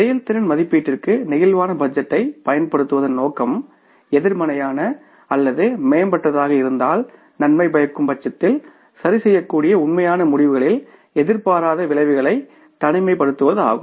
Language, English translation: Tamil, The intent of using the flexible budget for performance evaluation is to isolate unexpected effects on actual results that can be corrected if the adverse or enhanced if beneficial